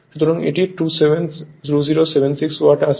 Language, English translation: Bengali, So, it is coming 2076 watt right